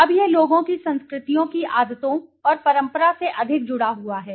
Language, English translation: Hindi, Now this is more connected with the habits and tradition of the cultures, of the people